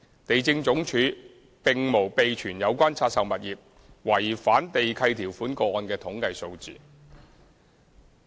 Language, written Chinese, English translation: Cantonese, 地政總署並無備存有關拆售物業違反地契條款個案的統計數字。, LandsD does not keep statistics on the number of cases concerning breaches of lease conditions of the divested properties